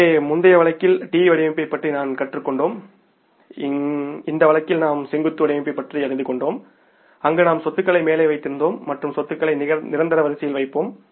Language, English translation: Tamil, So in the previous case case we learned about the T format, in this case we learned about the vertical format where we have put the assets on the top and putting the assets in the order of permanence, most fixed asset coming at the top and then followed by the current assets